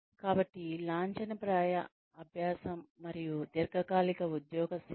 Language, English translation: Telugu, So formal learning, and long term on the job training